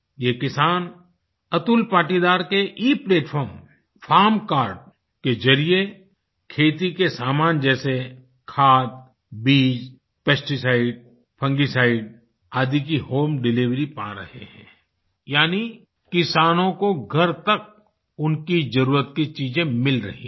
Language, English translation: Hindi, Through the Eplatform farm card of Atul Patidar, farmers are now able to get the essentials of agriculture such as fertilizer, seeds, pesticide, fungicide etc home delivered the farmers get what they need at their doorstep